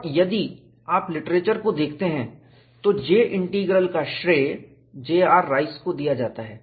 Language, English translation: Hindi, And if you look at the literature, the J Integral is credited to J